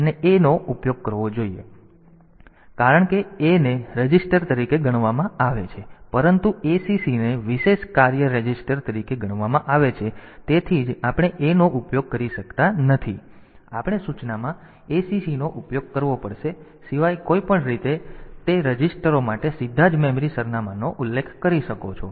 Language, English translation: Gujarati, So, A cannot be used because A is treated as a register, but acc is treated as a special function resistance that is why we cannot use A, but we have to use acc in the instruction, but anyway apart from that